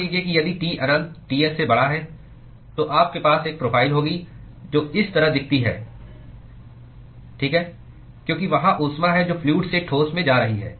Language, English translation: Hindi, Supposing if T infinity is greater than Ts you are going to have a profile which looks like this alright because there is heat that is going from the fluid into the solid